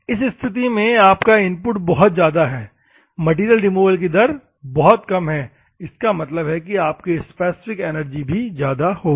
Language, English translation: Hindi, In this case, your input is very high, but the material removal is very low; that means, obviously, the specific energy requirement will be very high